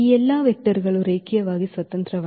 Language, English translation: Kannada, So, all these vectors are linearly independent